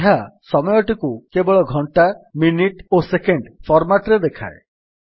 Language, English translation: Odia, It gives us only the time in hours minutes and seconds (hh:mm:ss) format